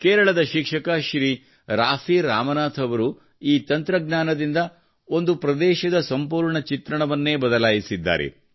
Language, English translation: Kannada, Shriman Raafi Ramnath, a teacher from Kerala, changed the scenario of the area with this technique